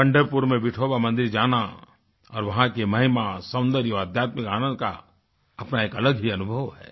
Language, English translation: Hindi, Visiting Vithoba temple in Pandharpur and its grandeur, beauty and spiritual bliss is a unique experience in itself